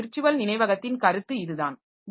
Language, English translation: Tamil, So, that is the concept of virtual memory